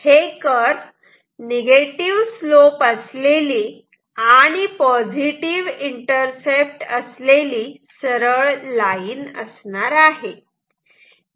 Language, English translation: Marathi, It will be a straight line with negative slope and the intercept will be positive